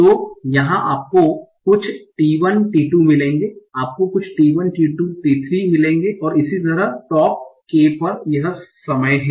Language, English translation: Hindi, So here you will find some T1, T2, here you will find some T1, T2, T3 and so on, top key at each time